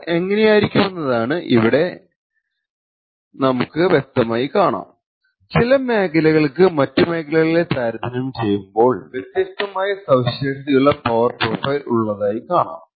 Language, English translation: Malayalam, So, this is something of what the power actually looks like and what we clearly see from here is that certain regions have a distinctively different power profile compared to other regions